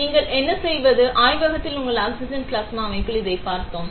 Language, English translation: Tamil, What you do is, we have seen this in the oxygen plasma system in the lab